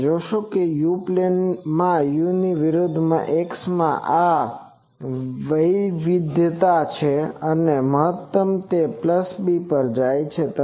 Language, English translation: Gujarati, You see that in the u plane u versus x, this is the variance and maximum it goes to a plus b